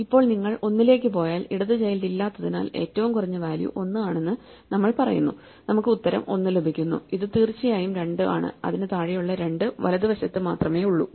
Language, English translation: Malayalam, So, you go to one then we say that the minimum value is the minimum value at 1 because there is no left child and therefore, we get the answer 1 and it is indeed 2 that anything below that is only on the right that is 2